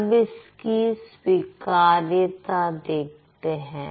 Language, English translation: Hindi, Now let's check the acceptability